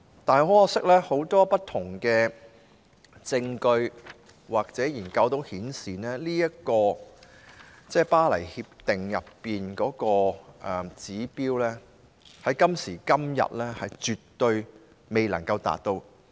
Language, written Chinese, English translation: Cantonese, 不過，很可惜，很多不同的證據或研究均顯示，《巴黎協定》的指標，在今時今日絕對無法達到。, Unfortunately however a wide variety of evidence or studies have shown that the Paris Agreements targets are absolutely impossible to achieve nowadays